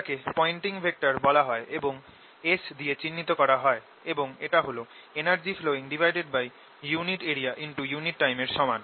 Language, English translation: Bengali, that is usually written as s and known as pointing vector, and this is equal to energy flow per unit area, per unit time